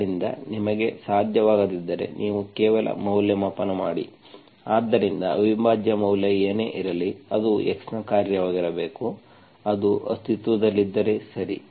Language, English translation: Kannada, So if you cannot, you just evaluate, so whatever the value of the integral, it should be function of x, if it exists, okay